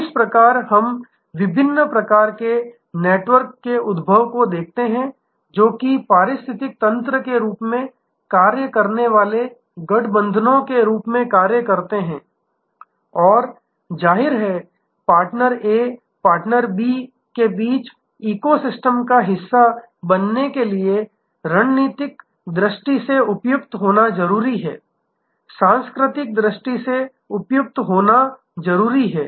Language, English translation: Hindi, From this therefore, we see the emergence of different types of networks acting as alliances acting as ecosystems and; obviously, to be a part of the ecosystems between partner A partner B, there has to be strategic fit, there has to be a cultural fit